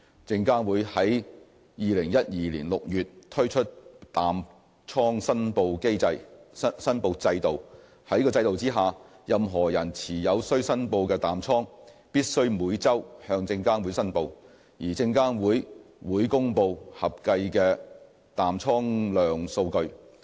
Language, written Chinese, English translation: Cantonese, 證監會於2012年6月推出淡倉申報制度。在該制度下，任何人持有須申報的淡倉必須每周向證監會申報，而證監會會公布合計的淡倉量數據。, In June 2012 SFC introduced a short position reporting regime under which reportable short positions must be reported to SFC on a weekly basis and the aggregated short positions reported is published by SFC